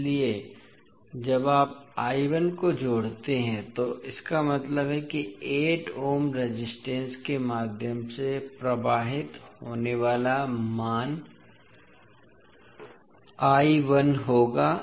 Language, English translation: Hindi, So when you connect I 1 it means that the value of current flowing through 8 ohm resistance will be I 1